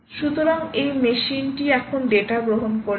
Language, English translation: Bengali, so this machine has now receive the data